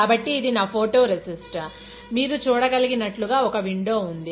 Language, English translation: Telugu, So, this is my photo resist, as you can see there is a window, right